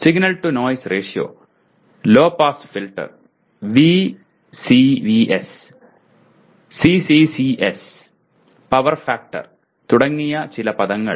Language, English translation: Malayalam, Signal to noise ratio, low pass filter, some terms like VCVS, CCCS, power factor etc